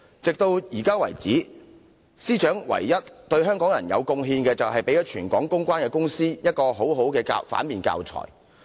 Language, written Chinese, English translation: Cantonese, 直至現時為止，司長對香港人的唯一貢獻，是為全港的公關公司提供了很好的反面教材。, Up till now the only contribution that the Secretary for Justice has made to the people of Hong Kong is that she has taught all public relations companies PR in Hong Kong a very good lesson of what ought not to do